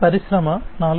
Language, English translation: Telugu, For Industry 4